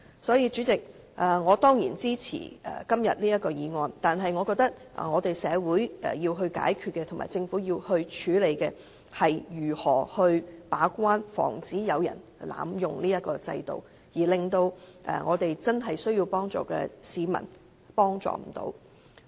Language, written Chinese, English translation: Cantonese, 所以，主席，我當然支持這項擬議決議案，但我覺得社會要解決的問題、政府要處理的問題是，如何防止法援制度被濫用，導致真正需要幫助的市民得不到幫助。, Thus President I certainly support this proposed resolution . However I hold that the problem to be resolved by the society and the issue to be tackled by the Government is how to prevent the legal aid system from being abused which has resulted in members of the public with genuine needs not getting the help